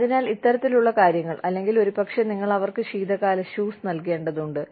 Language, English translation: Malayalam, So, you know, these kinds of things, or maybe, you need to give them, winter shoes